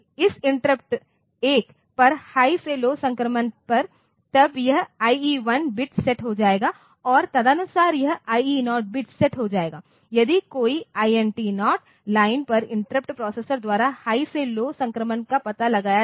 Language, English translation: Hindi, So, this will be, so when there is a high to low transition on this interrupt 1 then this IE1 bit will be set and accordingly this IE0 bit will be set if there is a high to low transition detected by the processor on the interrupt on the INT 0 line